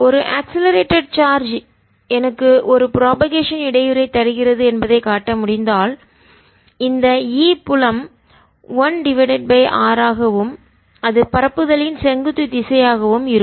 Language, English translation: Tamil, if i can show that an accelerating charge, give me a propagating disturbance which goes as for which the e field is, one over r is perpendicular direction of propagation i have shown in the radiation